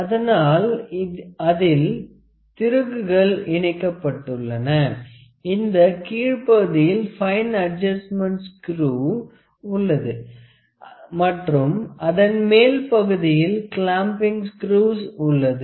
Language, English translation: Tamil, So, it has a screws attached to it, this is actually on the lower side we have the fine adjustments screw and on the upper side we have the clamping screws